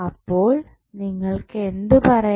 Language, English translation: Malayalam, So, you can say like this